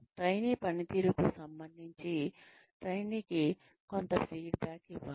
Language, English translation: Telugu, Some feedback needs to be given to the trainee, regarding the performance of the trainee